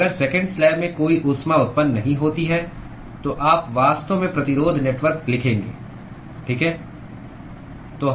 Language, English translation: Hindi, So if there is no heat generation in the seconds slab, you would actually write the resistance network, right